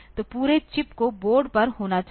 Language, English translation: Hindi, So, the entire chip has to be there on the board